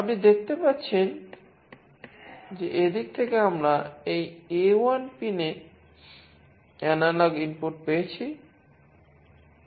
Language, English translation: Bengali, You see that from this point, we have got the analog input into this A1 pin